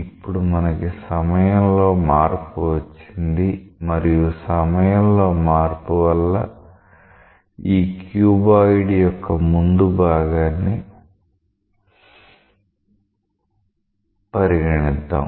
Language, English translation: Telugu, Now we are having a change in time and because of a change in time, now you see that let us consider the front face of this cuboid